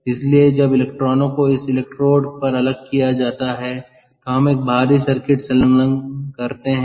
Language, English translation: Hindi, so when the electrons are separated at this electrode, we attach an external circuit